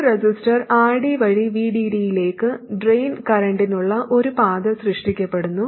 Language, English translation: Malayalam, A path for the drain current is created to VD through a resistor RD